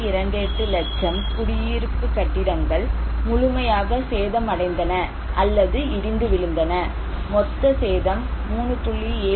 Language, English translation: Tamil, 28 lakh residential buildings were fully damaged or collapsed, total damage was 3